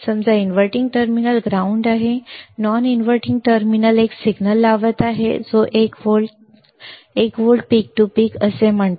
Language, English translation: Marathi, Suppose inverting terminal I am grounding, non inverting terminal I am applying a signal which is that say 1 volt, 1 volt peak to peak, 1 volt peak to peak ok